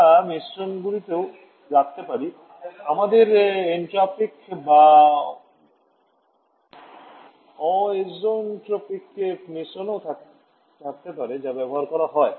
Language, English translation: Bengali, We can also mixtures we can have isotropic or zeotropic mixtures that are also used